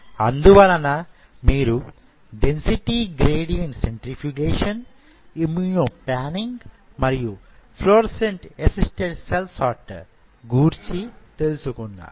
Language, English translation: Telugu, So, you have density gradient centrifugation, you have immuno panning you have fluorescent assisted cell sorter